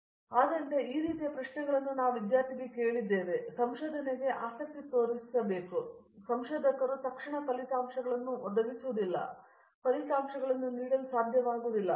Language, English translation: Kannada, So, this type of questions we asked the students and make them interested in the research because these researchers will not provide or give results immediately